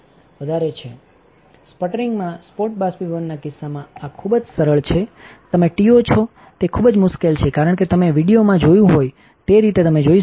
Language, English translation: Gujarati, This is very easy in case of spot evaporation well in sputtering you are tio it is very difficult as you can see as you have seen from the video